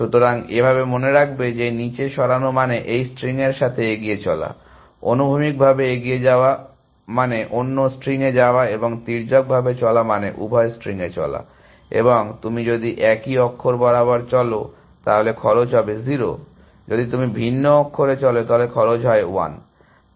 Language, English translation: Bengali, So, remember that moving down means, moving in this string; moving horizontally means moving in the other string and moving diagonally means moving on both strings and if you are moving on the same character then cost is 0, if you are moving on a different character, cost is 1